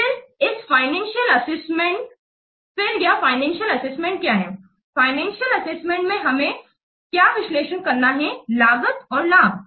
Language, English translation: Hindi, In financial assessment we have to what analyze the cost and the benefits